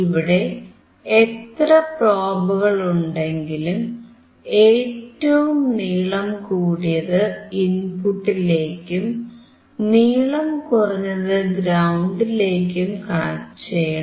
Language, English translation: Malayalam, So, if you see there are lot of probes, always a longer one is connected to the input, and the shorter one is connected to the probe